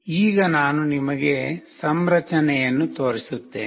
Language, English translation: Kannada, Now I will be showing you the configuration